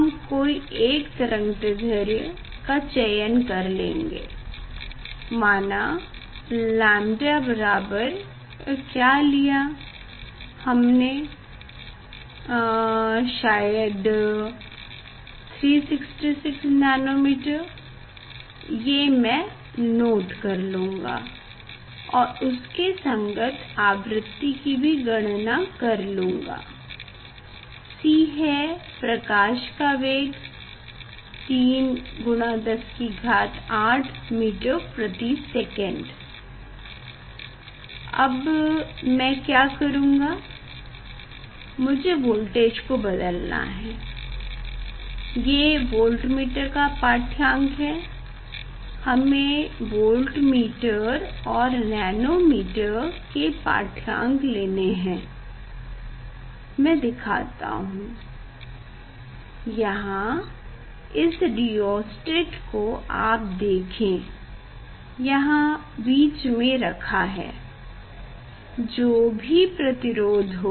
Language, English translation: Hindi, we will choose particular wavelength, say lambda equal to; now what is the lambda I have chosen, this 366 probably 66 nano meter I will note down and corresponding frequency I will calculate, this is the c is the velocity of light 3 into 10 to the power 8; 3 into 10 to the power 8 meter per second for that now what I will do, I have to change the voltage; this is the reading of voltmeter; reading of voltmeter and ammeter, nano ammeter we have to take, just I am showing I am not knowing